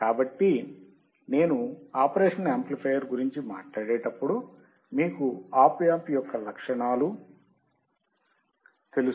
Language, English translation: Telugu, So, when I talk about operational amplifier, you guys know the characteristics of op amp